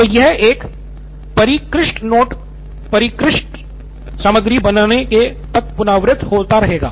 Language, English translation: Hindi, So this gets keeps on getting iterated until it becomes a refined note, refined content